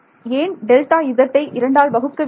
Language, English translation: Tamil, why do get the delta z by 2